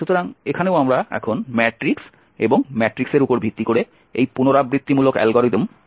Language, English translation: Bengali, So here also we are talking about now the matrix and these iterative algorithm based on the matrices